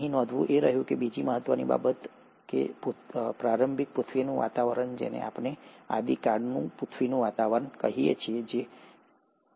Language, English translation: Gujarati, The other important thing to note is that the initial earth’s atmosphere, which is what we call as the primordial earth’s atmosphere, was highly reducing